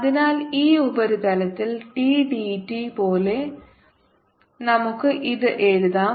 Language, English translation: Malayalam, so we can write this thing like d, d, t, this surface